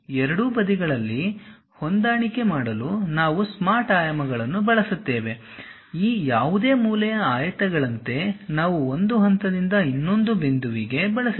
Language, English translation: Kannada, We use smart dimensions to adjust on both sides we use something like a any of these corner rectangle from one point to other point